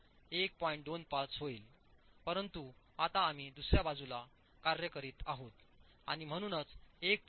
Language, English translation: Marathi, 25 but now we are working on the other side and therefore 1